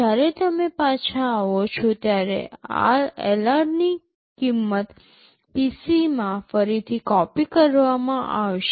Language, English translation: Gujarati, When you are coming back, the value of LR will be copied back into PC